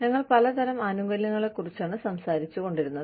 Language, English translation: Malayalam, We were talking about, various types of benefits